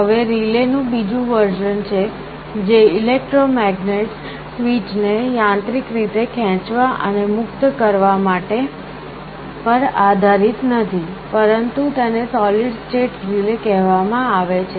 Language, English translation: Gujarati, Now there is another version of a relay that is not based on electromagnets pulling and releasing the switches mechanically, but these are called solid state relays